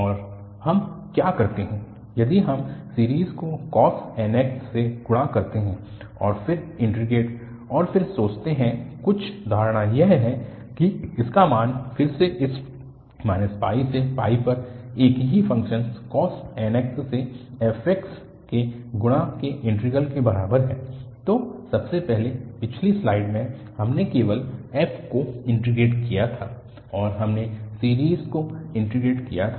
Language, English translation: Hindi, Next, what we do that if we multiply the series by cos nx and then integrate and assuming again some assumption that its value is equal to the integral of again the fx multiplied by same function cos nx over this minus pi to pi